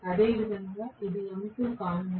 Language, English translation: Telugu, Similarly, this is going to be m2